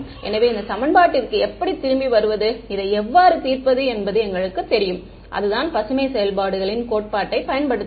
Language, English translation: Tamil, So, coming back to this equation we know how to solve this right and that is using the theory of Green’s functions right